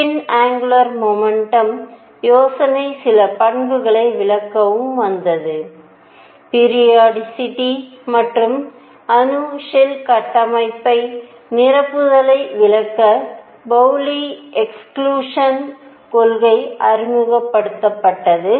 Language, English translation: Tamil, Then the idea of spin angular momentum also came to explain certain properties Pauli exclusion principle was introduced to explain the periodicity, and the filling of atomic shell structure